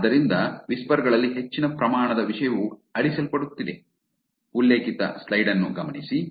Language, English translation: Kannada, So, there is higher proportion of content generated on whisper which is getting deleted